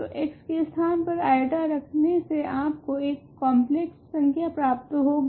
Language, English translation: Hindi, So, you plug in x equal to i you then get a complex number